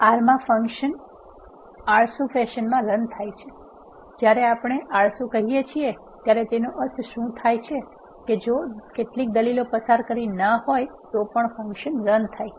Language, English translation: Gujarati, In R the functions are executed in a lazy fashion, when we say lazy what it mean is if some arguments are missing the function is still executed as long as the execution does not involve those arguments